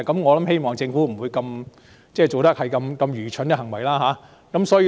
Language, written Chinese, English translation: Cantonese, 我希望政府不會做這麼愚蠢的行為。, I do not wish to see the Government do such a stupid act